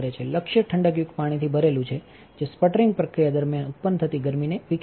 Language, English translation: Gujarati, The target is filled with cooling water which will dissipate the heat generated during the sputtering process